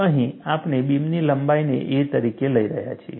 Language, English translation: Gujarati, Here we are taking the length of the beam as a